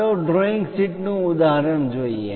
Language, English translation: Gujarati, Let us look at an example of a drawing sheet